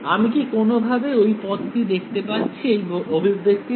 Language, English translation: Bengali, Do I observe that term anywhere over here in this expression